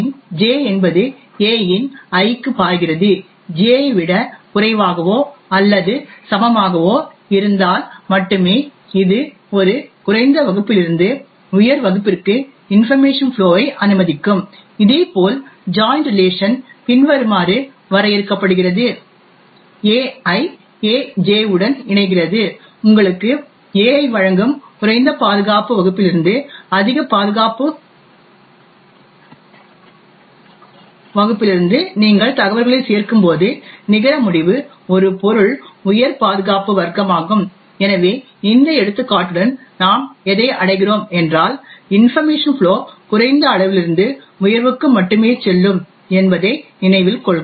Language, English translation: Tamil, A of J flows to A of I only if J is less than or equal to I this would permit information flow from a lower class to a higher class, similarly the join relationship is defined as follows, AI joins with AJ would give you AI that is when you join information from a lower security class with a higher security class the net result is an object the higher security class, so note that with this example what we are achieving is information flow from low to high only